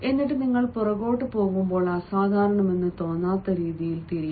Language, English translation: Malayalam, and then, when you turn back, you should turn in such a manner that does not appear to be unusual